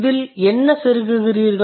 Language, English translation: Tamil, And what are you inserting into it